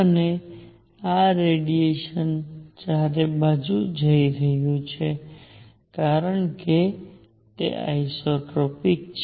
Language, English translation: Gujarati, And this radiation is going all around because isotropic